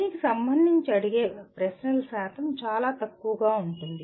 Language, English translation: Telugu, The percentage of questions that are asked will be much smaller